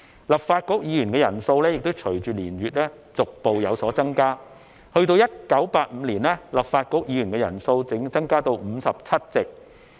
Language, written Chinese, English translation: Cantonese, 立法局議員的人數亦隨着年月逐步有所增加，及至1985年，立法局議員的人數已增至57席。, The number of Legislative Council Members increased with time . In 1985 the number of Members increased to 57